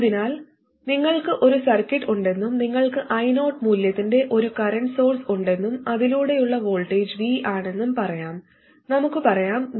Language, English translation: Malayalam, So let's say you have a circuit and you have a current source of value I 0 somewhere and the voltage across that is some VX, let's say, and VX is greater than 0